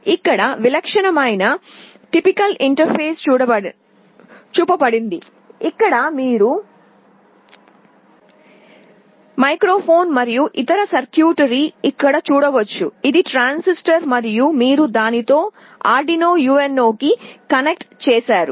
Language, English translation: Telugu, Here the typical interface is shown where you can see the microphone sitting here and the other circuitry you can see here, this is your transistor and you have made the connection with this Arduino UNO